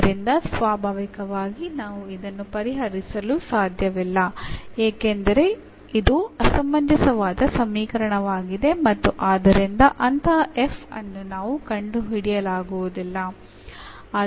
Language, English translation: Kannada, So, naturally we cannot solve because this is inconsistent equation and hence we cannot find such a f whose differential is the given differential equation